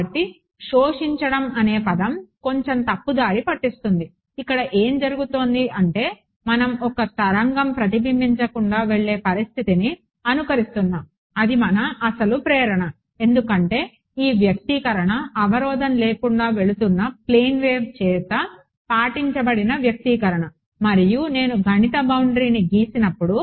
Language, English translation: Telugu, So, the word absorbing is slightly misleading what is happening is we are simulating the condition for a wave to go off unreflected that was our original motivation because this expression was the expression obeyed by a plane wave that is going unhindered and when I draw a mathematical boundary then nothing will come back because that is the equation that physics has given me